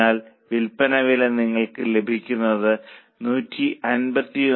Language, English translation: Malayalam, So, selling price comes to 151